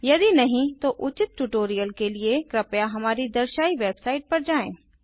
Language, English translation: Hindi, If not, for relevant tutorial please visit our website which as shown